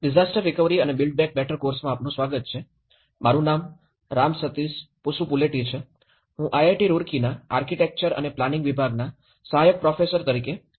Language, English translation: Gujarati, Welcome to the course disaster recovery and build back better, my name is Ram Sateesh Pasupuleti, I am working as Assistant Professor in Department of Architecture and Planning, IIT Roorkee